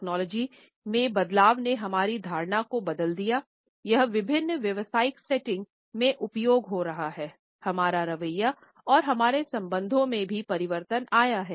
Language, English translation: Hindi, As the technology changed our perception about it is use in different professional settings, our attitudes towards it and our relationships with it also changed